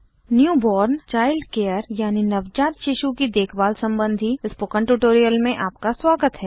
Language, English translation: Hindi, Welcome to the Spoken Tutorial on Neonatal Childcare